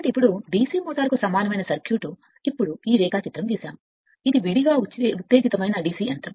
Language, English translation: Telugu, So, now equivalent circuit of DC motor, now this diagram have drawn this is a separately excited your DC machine right DC motor